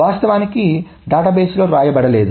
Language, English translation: Telugu, So nothing has been changed into the database